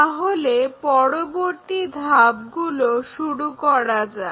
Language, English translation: Bengali, So, let us begin that with the following steps